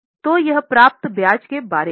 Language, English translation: Hindi, So, this is about interest received